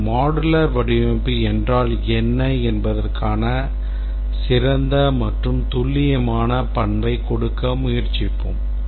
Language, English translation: Tamil, Let's try to give a better characteristic or more precise characteristic of what is a modular design